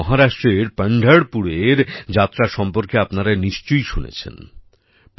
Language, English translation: Bengali, As you must have heard about the Yatra of Pandharpur in Maharashtra…